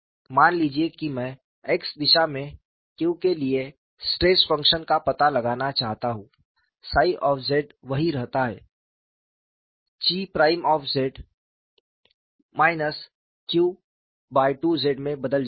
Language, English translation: Hindi, Suppose I want to find out stress function for q in the x direction, psi z remains same chi prime z changes to minus q by 2 z